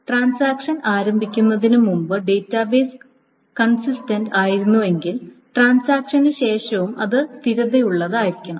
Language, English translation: Malayalam, So if the database was consistent to start with before the transaction started, it should be consistent after the transaction has entered